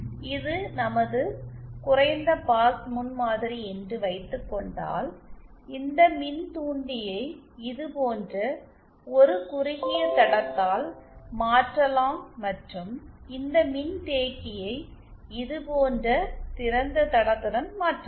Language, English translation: Tamil, If this suppose our low pass prototype then I can replace this inductor by a shorted line like this and this capacitor with an open line like this